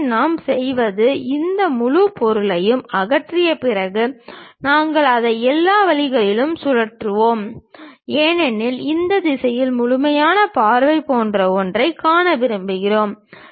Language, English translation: Tamil, So, what we do is after removing this entire materials thing, we revolve it down all the way; because we would like to see something like a complete view in this direction